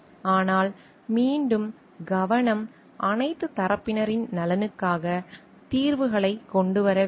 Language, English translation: Tamil, But again, the focus should also be coming up with solutions for the interest of all parties